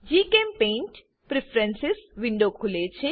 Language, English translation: Gujarati, GChemPaint Preferences window opens